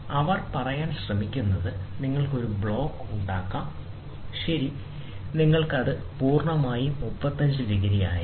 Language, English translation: Malayalam, So, what they are trying to say is that you can have a block, ok, and then you can have so, this entire thing will be now 35 degrees